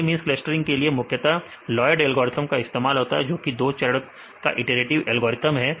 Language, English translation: Hindi, So, mainly the Lloyds algorithm is used for the k means which is a 2 step iterative algorithm